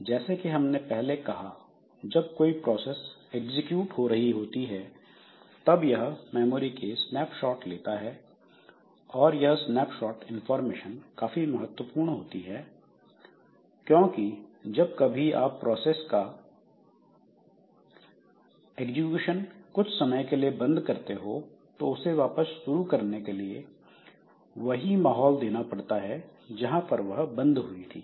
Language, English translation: Hindi, So, as we said previously that when a process is executing, so it has got certain snapshots from the memory and those snapshot information is very important because so if we are, if we have, if we have to suspend the execution of the process for some time and we want to restart it later then the same environment has to be given